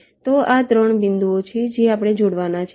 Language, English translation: Gujarati, so these are the three points i have to connect